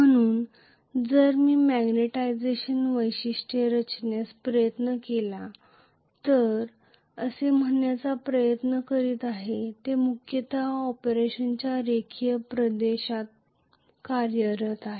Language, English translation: Marathi, So, if I tried to plot magnetization characteristics, I am trying to say that they are mainly operating in the linear region of operation